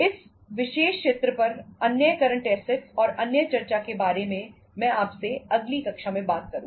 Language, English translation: Hindi, About the other current assets and other discussion on this particular area Iíll be talking to you in the next class